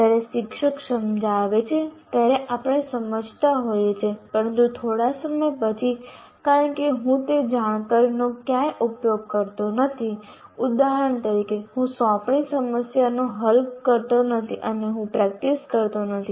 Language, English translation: Gujarati, While we seem to be understanding when the teacher explains, but after some time because I am not using that knowledge anywhere, like for example I am not solving assignment problems